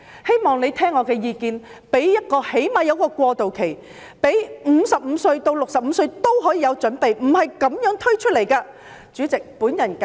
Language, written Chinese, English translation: Cantonese, 希望政府聽取我的意見，最少給予一個過渡期，讓55至65歲的人可以有所準備，而不是立即推行。, I hope the Government will listen to my views and at least provide a transitional period instead of implementing the policy immediately so as to allow those aged 55 to 65 to make some preparations